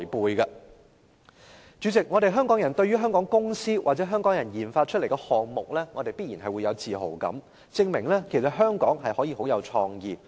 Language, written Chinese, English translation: Cantonese, 代理主席，香港人對於香港公司或香港人研發出來的項目必然有自豪感，這也證明香港可以很有創意。, Deputy Chairman people of Hong Kong will definitely be proud of items developed by companies and people of Hong Kong which can prove the creativity of Hong Kong